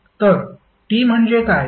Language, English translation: Marathi, So, what is capital T